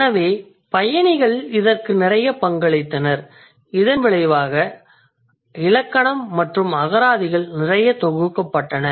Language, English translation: Tamil, With the increase of commerce and trade, it actually led to the compilation of grammars and dictionaries